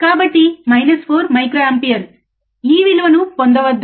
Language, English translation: Telugu, So, nNot minus 4 microampere, do not get this value